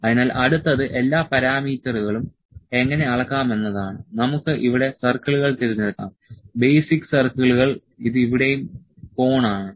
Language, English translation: Malayalam, So, next is how to measure all the parameters we can select the circles here basic circles, this is cone here as well